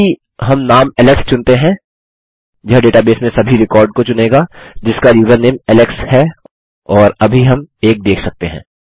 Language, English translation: Hindi, Now if we choose the name alex, this would select every record in the database that has the username alex and we can see theres one at the moment